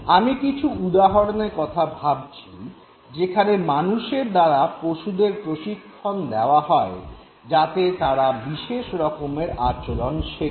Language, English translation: Bengali, I am right now looking at those examples where animals who have been trained by human beings and have been made to learn and behave in a particular way